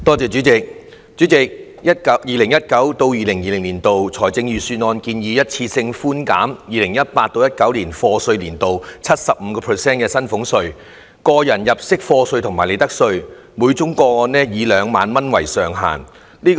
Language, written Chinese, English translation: Cantonese, 主席 ，2019-2020 年度財政預算案建議一次性寬減 2018-2019 課稅年度 75% 的薪俸稅、個入入息課稅及利得稅，每宗個案以2萬元為上限。, Chairman the 2019 - 2020 Budget proposes one - off reductions of salaries tax tax under personal assessment PA and profits tax for year of assessment YA 2018 - 2019 by 75 % subject to a ceiling of 20,000 per case